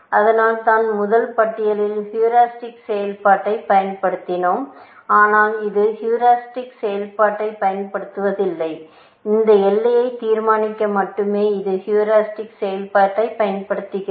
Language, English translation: Tamil, This is why, we used the heuristic function in the first list, but this is not exploiting the heuristic function; it uses the heuristic function only to determine this boundary